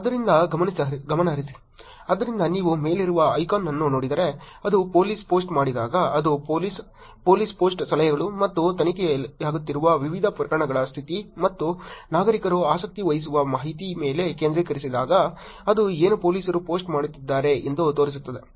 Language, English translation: Kannada, So focus on, so when police post again if you look at icon on the top it is police, when the police post are focusing on advisories and the status of different cases being investigated and information that the citizens will be interested in, that is what police is posting about